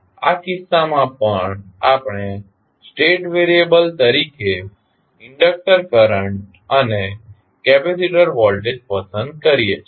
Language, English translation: Gujarati, In this case also we select inductor current and capacitor voltage as the state variables